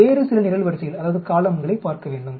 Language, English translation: Tamil, We need to look at some other columns